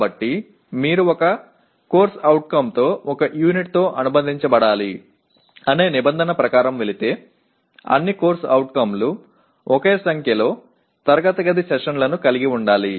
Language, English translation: Telugu, So if you go by the by requirement that one CO is to be associated with one unit then all COs are required to have the same number of classroom sessions